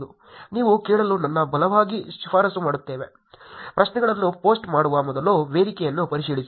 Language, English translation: Kannada, I strongly recommend you to ask, check the forum before posting the questions